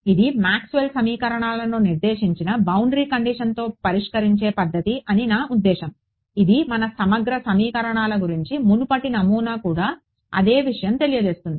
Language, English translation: Telugu, I mean it is a method of solving Maxwell’s equations with prescribed boundary conditions, which is what the earlier model was also about integral equations was also the same thing